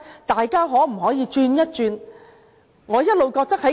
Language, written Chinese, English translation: Cantonese, 大家可否轉變一下思維？, Can they change their mindsets?